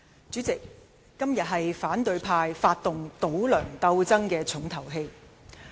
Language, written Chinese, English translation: Cantonese, 主席，今天是反對派發動"倒梁"鬥爭的重頭戲。, President the motion moved by the opposition camp today is the most important play in their anti - Mr LEUNG Chun - ying movement